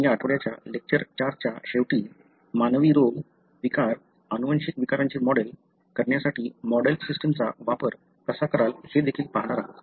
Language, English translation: Marathi, So, we are going to, towards the end of the, 4 lectures of this week, we are going to look into, also how you will use model systems to model human disease, disorders, genetic disorders